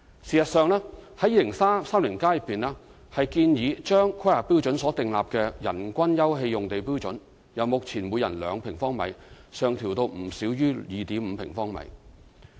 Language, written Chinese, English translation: Cantonese, 事實上，《香港 2030+》建議把《規劃標準》所訂立的人均休憩用地標準，由目前每人2平方米上調至不少於 2.5 平方米。, As a matter of fact Hong Kong 2030 recommends revising the open space per capita standard prescribed in the HKPSG from 2 sq m to no less than 2.5 sq m per person